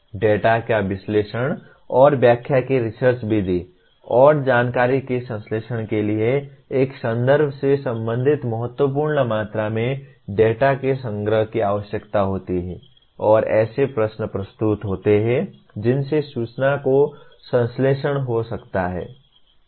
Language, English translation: Hindi, The research method of analysis and interpretation of data and synthesis of information that requires a collection of significant amount of data related to a context and posing questions that can lead to synthesis of information